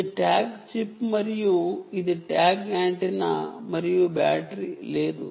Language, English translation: Telugu, this is a tag chip chip and this is the tag antenna